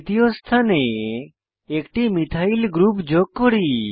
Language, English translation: Bengali, Let us add a Methyl group to the third position